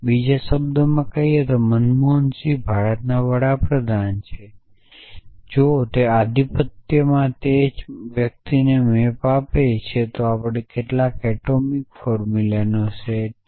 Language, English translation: Gujarati, In other words manmohan singh is a prime minister of India if in the domine they map to the same person essentially so that gives us the set up atomic formulas